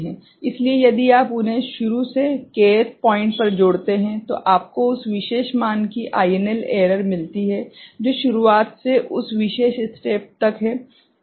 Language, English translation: Hindi, So, if you add them up, up to a k th point from the beginning, then you get the INL error of that particular value, from beginning up to that particular step ok